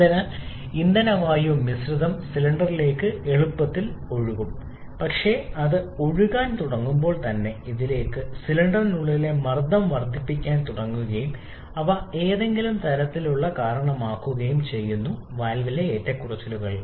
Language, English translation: Malayalam, So, that the fuel air mixture can flow easily into the cylinder, but as soon as it starts flowing into this, the pressure inside the cylinder starts to increase and they by causing some kind of fluctuations to the valve